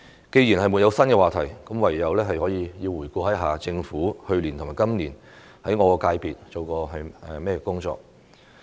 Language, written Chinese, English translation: Cantonese, 既然沒有新話題，我唯有回顧一下政府去年和今年就我的界別做過甚麼工作。, Since there are no new topics I will only review what the Government has done for my sector last year and this year